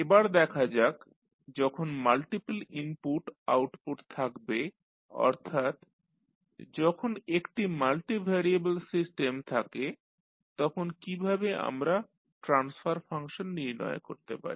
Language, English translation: Bengali, Now, let us see when you have the multiple input, output that means we have a multivariable system, how we will find out the transfer function